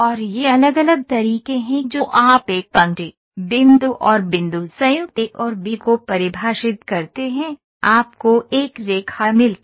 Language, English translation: Hindi, And these are different ways you define a line, point and point joint A and B, you get a line